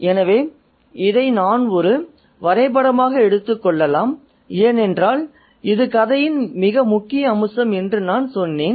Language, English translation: Tamil, So, we can map this out as well because this is, as I said, the crux of the story